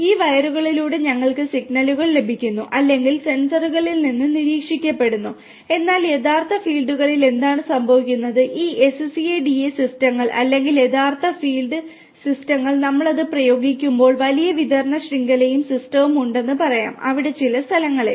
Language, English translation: Malayalam, So, we are getting the signals or which are monitored from the sensors through these wires, but what happens in the real fields these SCADA systems or real field systems when we apply it to the let us say larger distribution network and there are system is actually there in place at few places